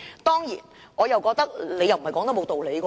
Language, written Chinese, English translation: Cantonese, 當然，我認為謝議員不無道理。, Of course I think Mr TSE has a point there